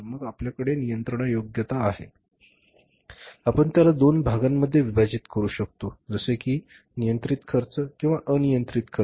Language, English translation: Marathi, Then we have the controllability we call divide into two parts controllable cost and uncontrollable costs